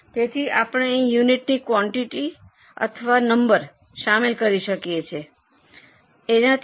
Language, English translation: Gujarati, So, we can incorporate the quantity or number of units there